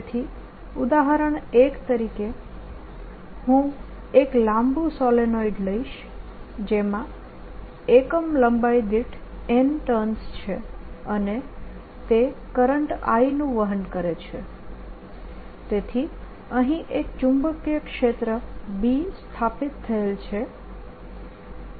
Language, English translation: Gujarati, so example one: i will take a long solenoid that has n terms per unit length, so it is carrying current i and it has n turns per unit length and it is carrying current i so that there is a magnetic field established here b